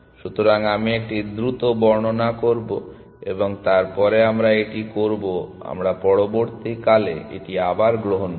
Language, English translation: Bengali, So, I will do a quick description and then we will do it we will take it up again in the next call essentially